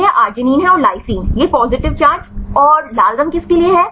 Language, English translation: Hindi, This is arginine and lys this make the positive charge and the red for